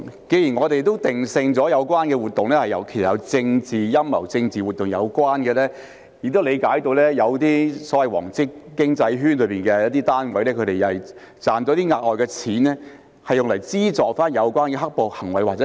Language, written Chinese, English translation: Cantonese, 既然我們也定性了有關活動其實是有政治陰謀，與政治活動有關，亦理解到有些所謂"黃色經濟圈"的單位賺到額外的錢後，會用作資助有關"黑暴"行為或後果。, We have determined that the activities are actually politically motivated and related to political activities and we also understand that some units in the so - called yellow economic circle use the extra money they earn to finance the black - clad violence or its consequences